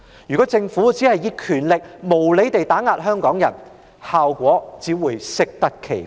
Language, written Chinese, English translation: Cantonese, 如果政府只是利用權力無理地打壓香港人，效果只會適得其反。, If the Government only uses power to unjustly suppress Hong Kong people the opposite effects will be resulted